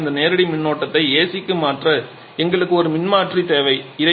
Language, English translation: Tamil, Generally we need an alternator to convert this direct current to AC